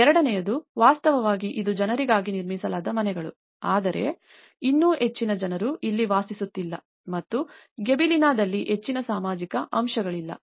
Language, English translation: Kannada, The second one is actually, is it is the houses which they are made for the people but still not many people are living here and not much of social aspect is there in Gibellina